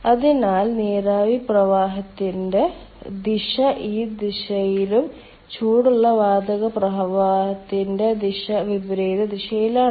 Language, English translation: Malayalam, ok, so direction of steam flow is in this direction and direction of hot gas flow is in the opposite direction